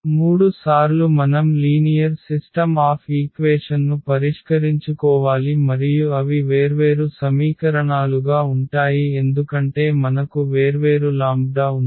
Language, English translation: Telugu, So, for 3 times we have to solve the system of linear equations and they will be different equations because we have the different lambda